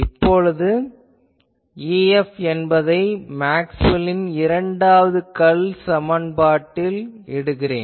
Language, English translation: Tamil, So, now, I can substitute this E F in the Maxwell’s Second Curl equation